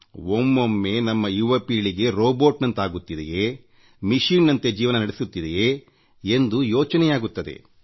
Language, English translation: Kannada, Sometimes you feel scared that our youth have become robot like, living life like a machine